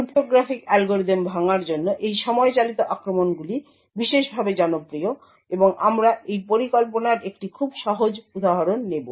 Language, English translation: Bengali, So, these time driven attacks are especially popular for breaking cryptographic algorithms and we will take one very simple example of this scheme